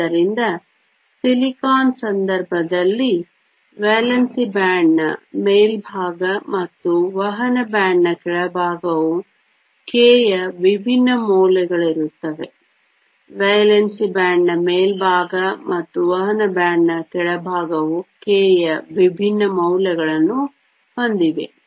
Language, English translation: Kannada, So, in the case of silicon, the top of the valence band and the bottom of the conduction band are at different values of k; top of the valence band and the bottom of the conduction band have different values of k